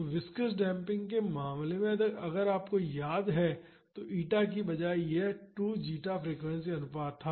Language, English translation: Hindi, So, in the case of viscous damping if you remember instead of eta it was 2 zeta frequency ratio